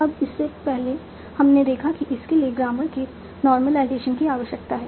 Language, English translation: Hindi, Now before that we have seen that this requires normalization of grammar